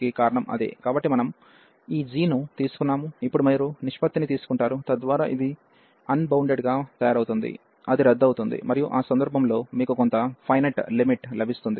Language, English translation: Telugu, So, we have taken this g, and now you will take the ratio, so that this which is making it unbounded will cancel out, and you will get some finite limit in that case